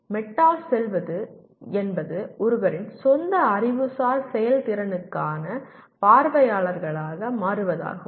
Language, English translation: Tamil, Going meta means becoming an audience for one’s own intellectual performance